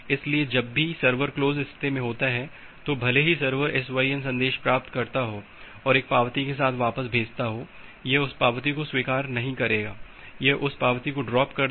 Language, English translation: Hindi, So, whenever it is in the close state even if the server receives the SYN message and send back with an acknowledgement, it will not accept that acknowledgement, it will simply drop the acknowledgement